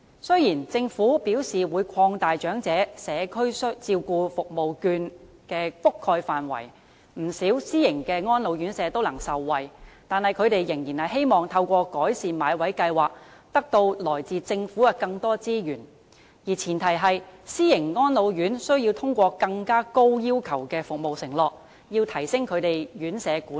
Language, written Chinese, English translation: Cantonese, 雖然政府表示會擴大長者社區照顧服務券的覆蓋範圍，不少私營安老院舍也能受惠，但他們仍然希望能透過"改善買位計劃"，從政府獲得更多資源，而前提是，私營安老院須通過更高要求的服務承諾，提升他們的院舍管理。, Although the Government has indicated that it will expand the scope of the Community Care Service Vouchers for the Elderly which can benefit many private RCHEs the latter still wish to obtain more resources from the Government through the Enhanced Bought Place Scheme . The premise is that private RCHEs must enhance their management by fulfilling more demanding performance pledges